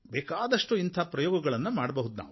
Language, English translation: Kannada, We can undertake several such experiments